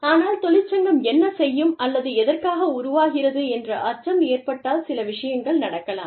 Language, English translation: Tamil, But, if they are scared of, what the union may do, or, why the union is being formed